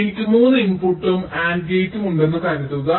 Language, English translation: Malayalam, suppose i have a three input and gate